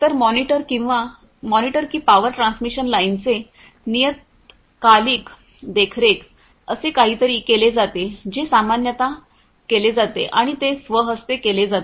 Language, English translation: Marathi, So, you know the monitor that the periodic monitoring of the power transmission lines is something that is done typically and that is done manually